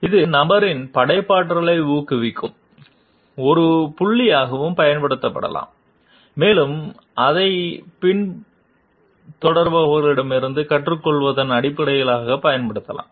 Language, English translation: Tamil, It can also be used as a point of encouraging the creativity of the person and it can be used in terms of also learning from the followers